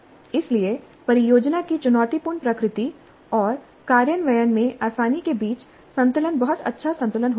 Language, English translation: Hindi, So the balance between the challenging nature of the project and the ease of implementation must be a very fine balance